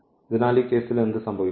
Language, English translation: Malayalam, So, what will happen in this case